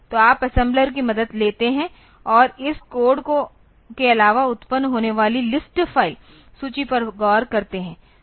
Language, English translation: Hindi, So, you take help of assembler and do look into the list file that is produced apart from this code